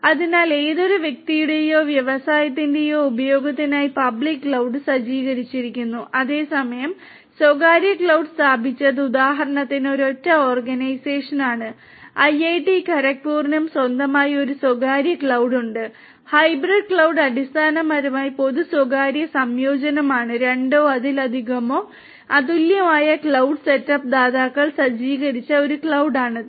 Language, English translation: Malayalam, So, public cloud are set up for use of any person or industry whereas, the private cloud is set up by some single organization for example, IIT Kharagpur also has its own private cloud right and hybrid cloud basically is a combination you know it is a combination of both public and private so it is a cloud that is set up by two or more unique cloud setup providers right